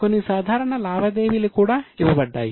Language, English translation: Telugu, And some simple transactions are given